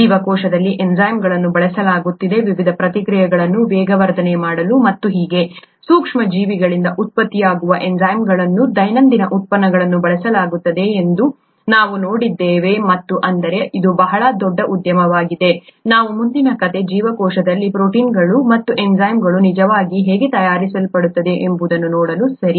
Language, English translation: Kannada, We saw that enzymes are being used, heavily used in the cell, for catalysing various different reactions and so on, enzymes produced by microorganisms are used in everyday products and so I mean, that’s a very large industry, the next story we’re going to see how the proteins and the enzymes are actually made in the cell, okay